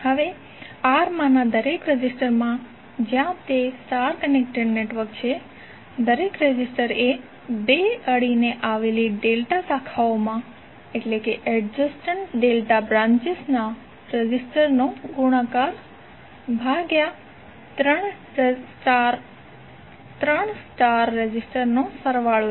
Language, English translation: Gujarati, Now in each resistor in R, where that is the star connected network, the each resistor is the product of the resistors in 2 adjacent delta branches divided by some of the 3 star resistors